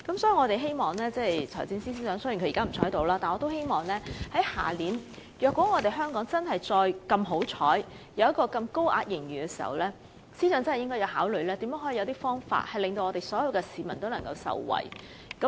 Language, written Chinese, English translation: Cantonese, 雖然財政司司長現在不在席，但如果香港明年仍然有幸錄得巨額盈餘，我們希望司長真的要考慮有何方法令所有市民也能受惠。, Although the Financial Secretary is not present at the moment I still hope he can in the event of Hong Kong being blessed with another colossal surplus next year give serious consideration to how resources can be deployed for the benefit of all people